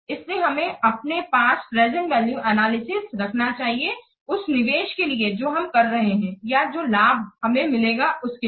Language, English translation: Hindi, So, we must carry out present value analysis for the what investment that we are making or the benefit that will get